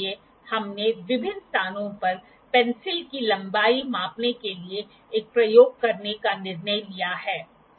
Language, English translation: Hindi, So, we have decided to conduct an experiment to measure the length of the pencil at various places